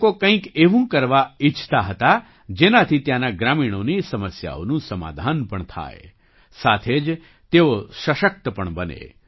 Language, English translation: Gujarati, These people wanted to do something that would solve the problems of the villagers here and simultaneously empower them